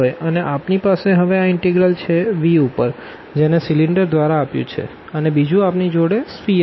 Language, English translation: Gujarati, And, we have this integral over this v which is given by the cylinder and then we have the sphere